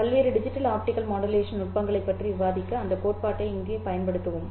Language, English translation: Tamil, We will utilize that theory here to discuss digital, various digital optical modulation techniques